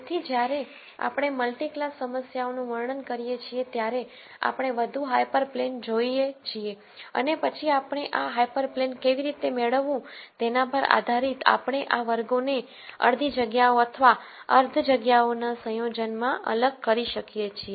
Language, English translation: Gujarati, So, when we describe multi class problems we look at more hyper planes and then depending on how we derive these hyper planes we could have these classes being separated in terms of half spaces or a combination of half spaces